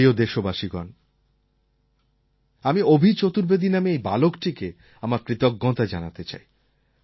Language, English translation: Bengali, Friends, I want to thank this boy Abhi Chaturvedi